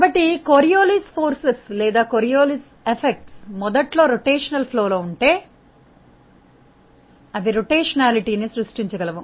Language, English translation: Telugu, So, Coriolis forces or Coriolis effects can create a rotationality in the flow if it was originally rotational